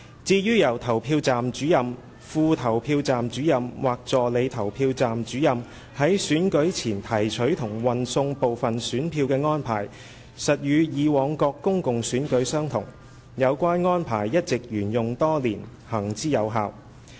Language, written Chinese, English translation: Cantonese, 至於由投票站主任/副投票站主任/助理投票站主任在選舉前提取及運送部分選票的安排，實與以往各公共選舉相同，有關安排一直沿用多年，行之有效。, The arrangement for Presiding Officers PROsDeputy Presiding OfficersAssistant Presiding Officers APROs to collect and deliver some of the ballot papers before the polling day is indeed the same as that for the previous public elections and has been adopted for years and has all along been effective